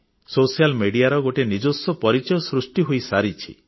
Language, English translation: Odia, Social media has created an identity of its own